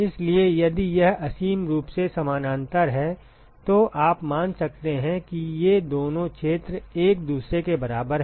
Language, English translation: Hindi, So, if it is infinitely parallel, then you could assume that these two areas are equal to each other